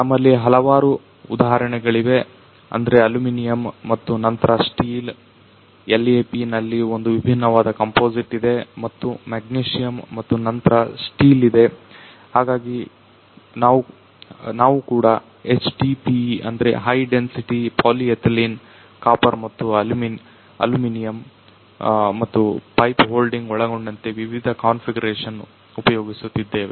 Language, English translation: Kannada, We have got several examples like aluminum and then steel we have got the material you know the one different composites in LAP and , you have got the magnesium and then steel, we have also used this HDPE that high density polyethylene, copper and aluminum, and also different configurations including this you know the pipe holding